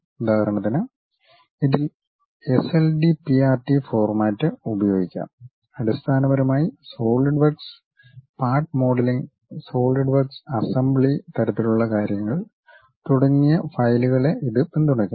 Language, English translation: Malayalam, For example it supports its own kind of files like SLDPRT format, basically Solidworks Part modeling, solid work assembly kind of things and so on